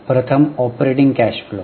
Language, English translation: Marathi, The first one is operating cash flows